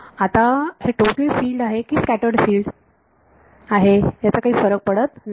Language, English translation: Marathi, So, this is so, right now it does not matter total field or scattered field